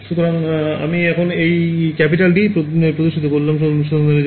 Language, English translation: Bengali, So, here I have this capital D over here is showing domain of investigation ok